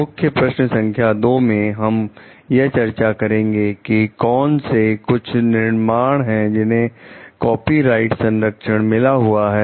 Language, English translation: Hindi, In key question 2 we are going to discuss what are the some creations, that are accorded copyright protection